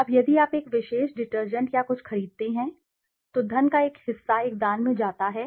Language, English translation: Hindi, Now if you buy a particular detergent or something, some portion of the money goes to a charity